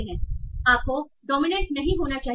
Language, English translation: Hindi, And what is the dominance